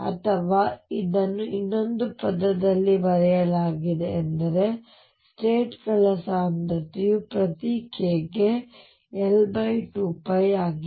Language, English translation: Kannada, Or this is also written in another words is that the density of states is L over 2 pi per k